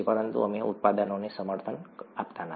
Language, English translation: Gujarati, But we do not endorse the products